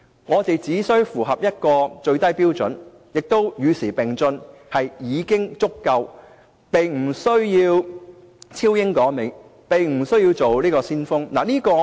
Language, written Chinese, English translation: Cantonese, 我們只需要與時並進、符合一個最低標準便已經足夠，並不需要超英趕美，也不需要做先鋒。, We only need to keep abreast of the times and meet the lowest standard; we do not have to surpass the United Kingdom and catch up with the United States or become forerunners